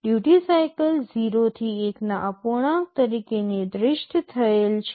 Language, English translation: Gujarati, Duty cycle is specified as a fraction from 0 to 1